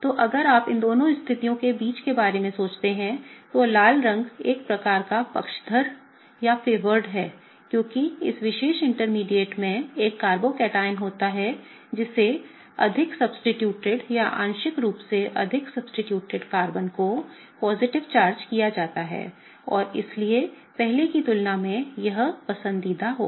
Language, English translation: Hindi, So, if you think about it between this situation and this situation, the one in the red is kind of favored because that particular intermediate has a carbocation that is more substituted or partially formed positive charge on a Carbon that is more substituted and hence, it will be favored as compared to this earlier one